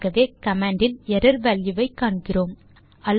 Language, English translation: Tamil, So we can see error value show in the command